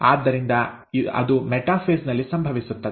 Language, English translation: Kannada, So that happens in metaphase